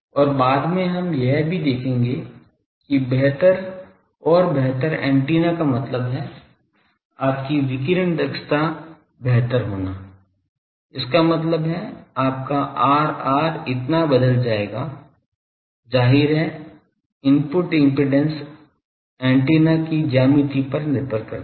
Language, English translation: Hindi, And later also we will see that better and better antenna means, better your radiation efficiency so; that means, your R r will change so; obviously, input impedance depend on geometry of the antenna